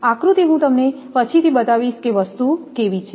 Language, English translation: Gujarati, Diagram, I will show you how thing are